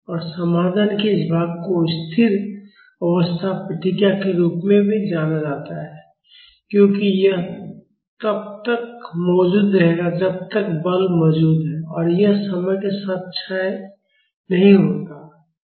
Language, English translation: Hindi, And this part of the solution is known as Steady state response, because this will be present as long as the force is present and this does not decay with time